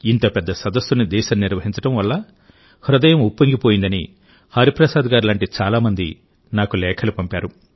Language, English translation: Telugu, Today, many people like Hariprasad Garu have sent letters to me saying that their hearts have swelled with pride at the country hosting such a big summit